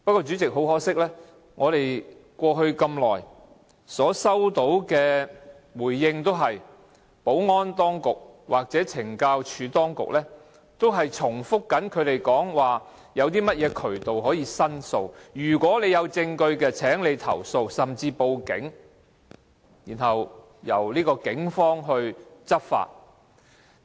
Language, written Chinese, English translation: Cantonese, 主席，很可惜過去我們收到的回覆，也是由保安當局或懲教署當局，不斷重複指出現已有申訴渠道，如果有證據便請投訴或甚至報警，交由警方執法。, President I find it very regrettable that so far the Security Bureau or the CSD has only been repeating in their replies to us that there are already channels for making complaints; and if we have any evidence we can lodge a complaint or even call the police which will then take enforcement actions